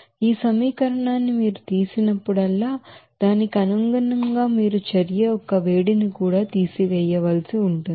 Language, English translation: Telugu, So here whenever you are subtracting this equation, accordingly you have to subtract that heat of reaction also